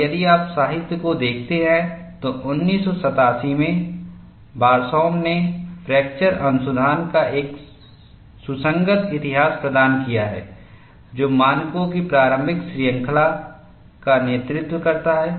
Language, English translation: Hindi, And if you look at the literature, Barsoum, in 1987 has provided a succinct history of the fracture research, that led to the initial series of standards